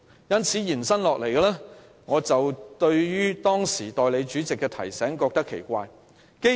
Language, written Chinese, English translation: Cantonese, 由此可見，我對於先前代理主席的提醒大惑不解。, In view of the above I am completely baffled by Deputy Presidents reminder